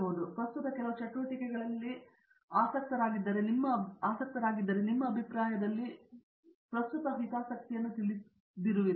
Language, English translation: Kannada, But are they currently interested in some specific activities that you, in your opinion that you feel is of you know current interest